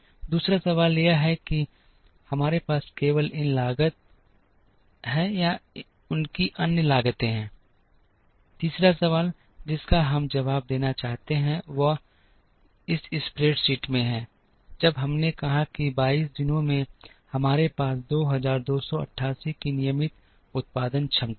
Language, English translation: Hindi, The other question is do we have only these fore costs, or are there other costs, the third question that we would like to answer is this in this spreadsheet, when we said that in 22 days we have a regular time production capacity of 2288